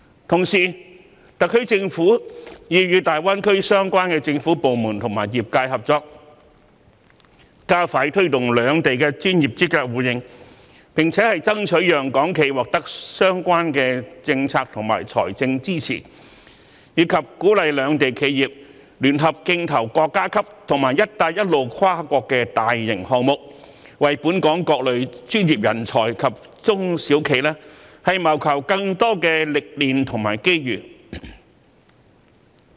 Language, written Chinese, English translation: Cantonese, 同時，特區政府已與大灣區相關政府部門及業界合作，加快推動兩地的專業資格互認，並且爭取讓港企獲得相關的政策及財政支持，鼓勵兩地企業聯合競投國家級及"一帶一路"跨國大型項目，為本港各類專業人才及中小型企業謀求更多歷練及機遇。, In the meantime the SAR Government has also cooperated with the relevant government departments and sectors in GBA to expedite the promotion of mutual recognition of professional qualifications between the two places strive for the provision of the relevant policy and funding support to Hong Kong enterprises and encourage enterprises of the two places to jointly tender for large - scale national and multinational projects under the Belt and Road Initiative with a view to enabling various types of professionals and small and medium enterprises SMEs in Hong Kong to obtain more experience and opportunities